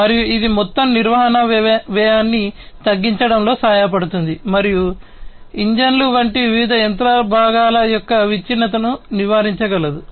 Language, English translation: Telugu, And that this will help in reducing the overall maintenance cost, and preventing different breakdown of different machinery parts, such as engines